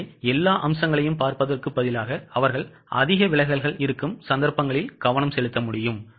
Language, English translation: Tamil, So, instead of looking at all aspects, they can just concentrate on those cases where there are heavy deviations